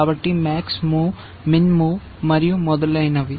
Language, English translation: Telugu, So, max move, min move and so on